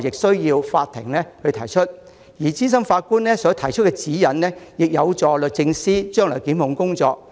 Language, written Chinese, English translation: Cantonese, 所以，我認為資深法官作出的指引相當重要，有助律政司日後進行檢控工作。, Therefore I think that the guidance given by senior judges is very important and will contribute to the prosecutions made by the Department of Justice in the future